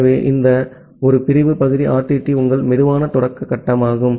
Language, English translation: Tamil, So, this one segment part RTT is your slow start phase